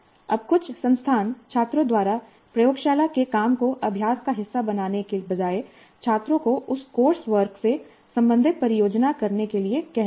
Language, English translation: Hindi, Now some institutes, instead of making the laboratory work as a part of the practice by the students are asking the students to do a project related to that course work